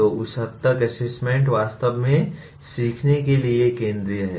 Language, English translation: Hindi, So to that extent assessment is really central to learning